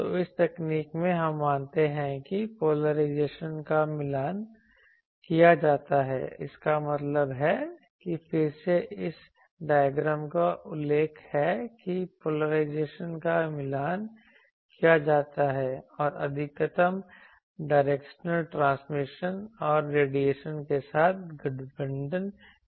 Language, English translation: Hindi, So, in this technique we assume that polarization is matched, that means again referring to this diagram that polarization is matched and maximum directional transmission and radiation they are aligned with